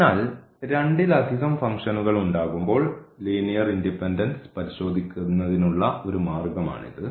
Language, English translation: Malayalam, So, there are some other ways to prove the linear independence of the solutions when they are more than two functions